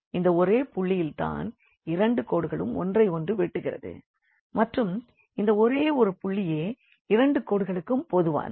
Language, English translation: Tamil, And, the other point here to be noticed that this is the only point, this is the only point where these 2 lines intersect or this is the only common point on both the lines